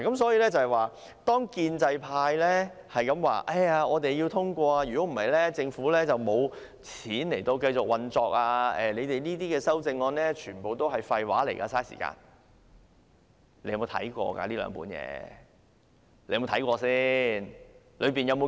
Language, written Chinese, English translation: Cantonese, 所以，當建制派不斷說我們要通過預算案，否則政府便沒有錢繼續運作，全部預算案修正案都是廢話，浪費時間的時候，他們有否看過這兩份文件？, Therefore while the pro - establishment camp keeps saying we have to get the budget passed or else the Government will have no money to continue its operation and that all amendments to the budget are rubbish and time - wasters have they read these two sets of documents?